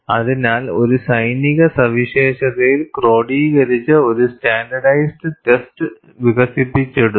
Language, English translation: Malayalam, So, a standardized test, codified in a military specification was developed